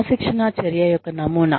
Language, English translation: Telugu, Model of disciplinary action